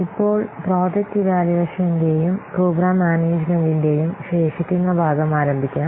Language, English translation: Malayalam, So, now let's start the remaining part of the project evaluation and program management